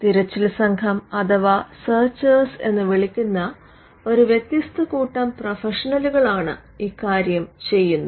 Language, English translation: Malayalam, It is done by a different set of professionals called searchers